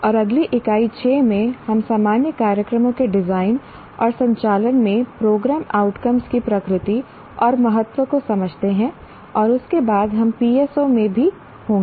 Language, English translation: Hindi, And in the next unit 6, we understand the nature and importance of program outcomes in design and conduct of general programs